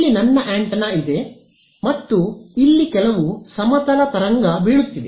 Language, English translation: Kannada, So, here is my antenna over here and there is some plane wave falling on it over here